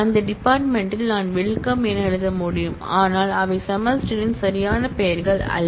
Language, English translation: Tamil, I can write welcome in that field and so on, but those are not valid names of semester